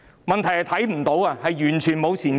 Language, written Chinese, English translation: Cantonese, 問題是，我們完全看不到前景。, The problem is that we cannot see any prospects at all